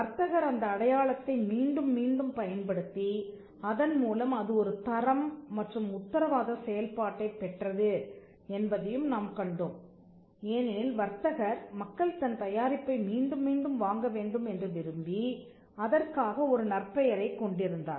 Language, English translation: Tamil, Now, we also saw that later on the fact that, the trader would use the mark repeatedly and it gained a quality and a guarantee function because the trader had a reputation he would also want people to repeatedly buy his product and which we saw as one of the reasons by which we understand the business